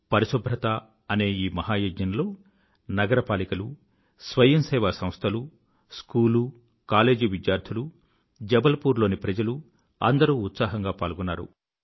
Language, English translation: Telugu, In this 'Mahayagya', grand undertaking, the Municipal Corporation, voluntary bodies, School College students, the people of Jabalpur; in fact everyone participated with enthusiasm & Zest